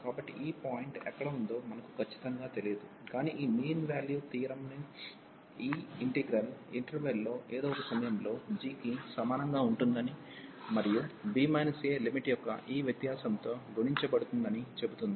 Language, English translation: Telugu, So, we do not know exactly where is this point, but this mean value theorem says that this integral will be equal to g at some point in the interval, and multiplied by this difference of the limit b minus a